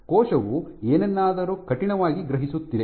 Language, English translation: Kannada, Cell is sensing something stiff